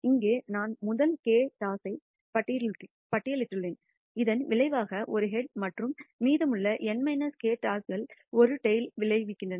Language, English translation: Tamil, Here I listed the first k tosses as resulting in a head and the remaining n minus k tosses resulting in a tail